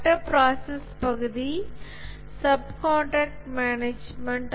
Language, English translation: Tamil, The other process area is subcontract management